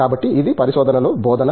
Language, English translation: Telugu, So, this is teaching in research